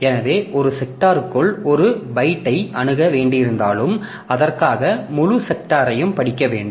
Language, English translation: Tamil, So, even if you need to access a single byte within a sector, we have to read the entire sector for that